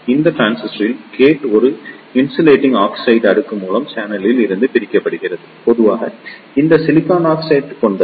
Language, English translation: Tamil, In this transistor, the gate is separated from the channel by an insulating oxide layer, generally it is off silicon oxide